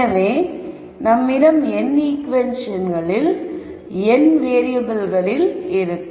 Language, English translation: Tamil, So, I have n equations in n variables